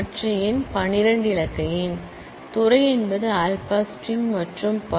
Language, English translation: Tamil, The other number is a twelve digit number, the department is alpha string and so on